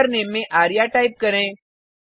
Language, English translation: Hindi, Type the username as arya